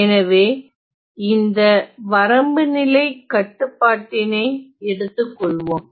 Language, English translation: Tamil, So, let us take this as the boundary condition